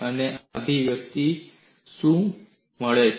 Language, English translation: Gujarati, And what do you find in this expression